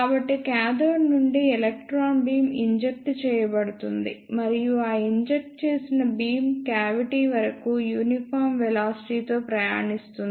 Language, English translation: Telugu, So, electron beam is injected from the cathode and that injected beam travel with a uniform velocity till the cavity